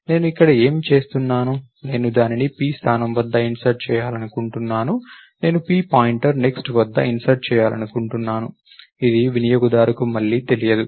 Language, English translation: Telugu, Whatever I am doing here, notice that I want to insert it at position p, I am inserting at p pointer next, this is again not known to the user